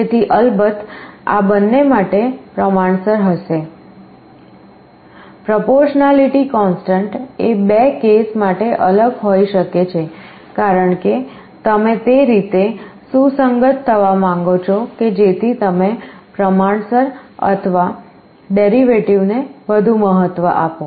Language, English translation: Gujarati, So, this will be proportional to both of these of course, the proportionality constant may be different for the two cases because, you may want to tune such that you will be giving more importance to proportional or more importance to derivative